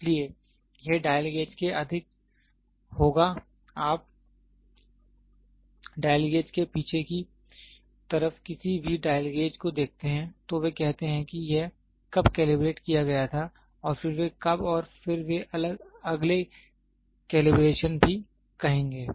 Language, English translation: Hindi, So, here it will be more of dial gauge if you see any dial gauge at the back side of the dial gauge, they say when was it calibrated and then they when and then they will also say next calibration